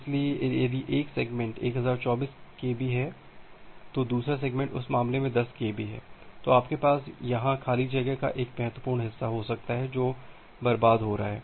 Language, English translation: Hindi, So, if one segment is 1024 kb, another segment is 10 kb in that case, you can have a significant amount of free space here which is being wasted